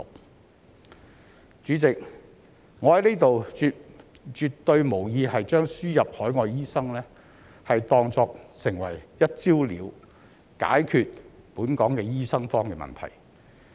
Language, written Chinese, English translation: Cantonese, 代理主席，我在此絕對無意把輸入海外醫生當作"一招了"，可以解決本港的醫生荒問題。, Deputy President I certainly have no intention to treat the importation of overseas doctors as one measure that can solve Hong Kongs shortage of doctors once and for all